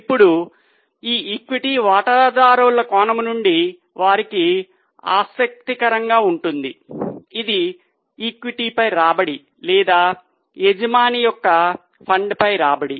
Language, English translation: Telugu, Now, from the equity shareholders angle, what could be interesting to them is return on equity or return on owner's fund